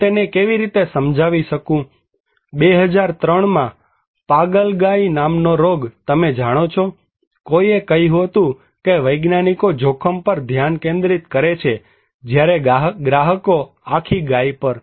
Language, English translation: Gujarati, How I can convince him, Mad Cow disease in 2003, you know, somebody said that scientists focus on danger that consumers on the whole cow